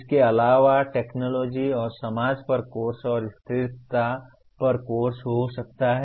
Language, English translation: Hindi, Also courses on technology and society and there can be course on sustainability